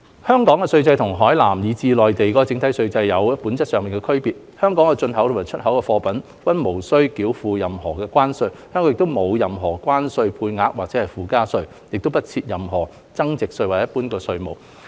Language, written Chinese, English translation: Cantonese, 香港的稅制與海南以至內地整體稅制有着本質上的區別，香港的進口及出口貨物均無須繳付任何關稅，香港亦無任何關稅配額或附加稅，亦不設任何增值稅或一般服務稅。, The tax regime in Hong Kong is by nature different from that of Hainan as well as the overall regime of the Mainland . Hong Kong does not levy any Customs tariff on imports and exports . There is also no tariff quota surcharge value added tax and general services tax in Hong Kong